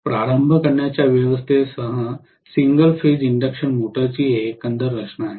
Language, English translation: Marathi, This is the overall structure of the single phase induction motor along with starting arrangement